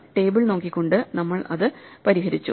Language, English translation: Malayalam, We solved it by looking at the table